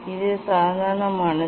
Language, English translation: Tamil, this is the normal